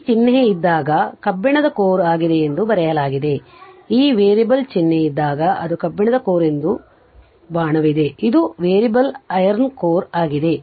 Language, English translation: Kannada, When this symbol is there it is iron core here it is written it is iron core when this variable sign is there that arrow is there this is variable iron core